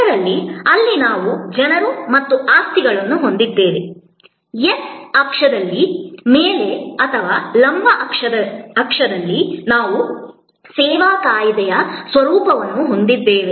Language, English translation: Kannada, So, there we have people and possessions, on the x axis or on the vertical axis we have the nature of the service act